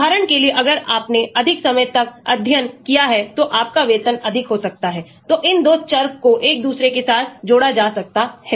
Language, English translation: Hindi, for example if you have studied longer, your salary may be more, so these 2 variables could be interrelated with each other